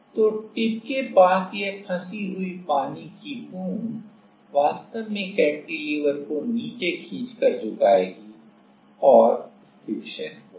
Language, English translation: Hindi, So, this trapped water droplet near the tip will actually pull down the cantilever to bend and stiction will happen